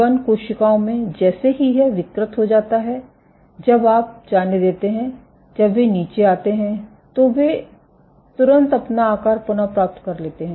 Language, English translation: Hindi, In U251 cells, as soon as it deformed when you when they let go when they came underneath they immediately regain their shape